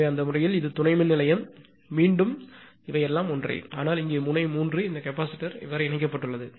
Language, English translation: Tamil, So, in that case this is substation again everything is same, but here at node 3; that this capacitor is connected